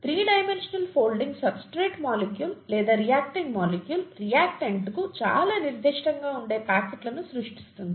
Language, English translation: Telugu, The three dimensional folding creates pockets that are very specific to the substrate molecule or the reacting molecule, reactant